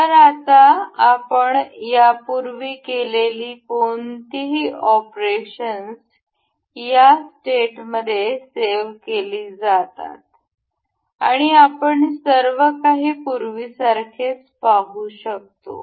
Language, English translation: Marathi, So, now, whatever the operations we have performed earlier they are saved as a state, and we can see the everything as before